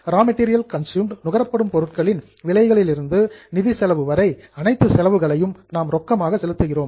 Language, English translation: Tamil, All the expenses starting from cost of raw material consumed to finance costs, we were paying in cash